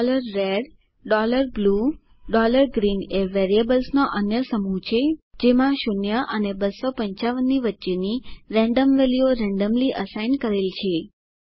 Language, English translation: Gujarati, $red, $blue, $green are another set of variables to which random values between 0 and 255 are assigned randomly